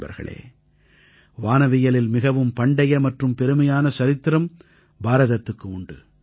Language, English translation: Tamil, Friends, India has an ancient and glorious history of astronomy